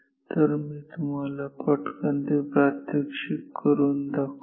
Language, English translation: Marathi, Let me just demonstrate it up very quickly